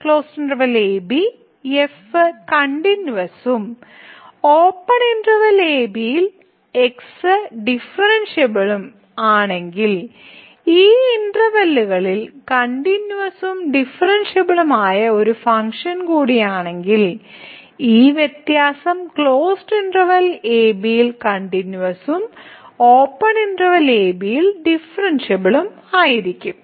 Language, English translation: Malayalam, So, if is continuous in the closed interval and differentiable in the open interval and is also a function which is continuous and differentiable in those intervals, then this difference will be also continuous in closed interval and differentiable in the open interval